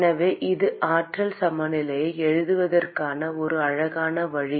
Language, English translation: Tamil, So this is the a cute way of writing the energy balance